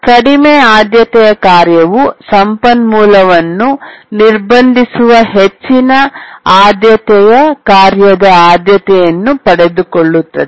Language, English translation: Kannada, The low priority task's priority is made equal to the highest priority task that is waiting for the resource